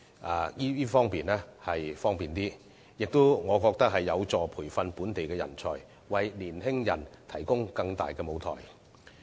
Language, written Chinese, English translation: Cantonese, 我覺得這個做法亦有助培訓本地人才，為年青人提供更大的舞台。, In my opinion doing so can help train local talent and provide young people with a bigger stage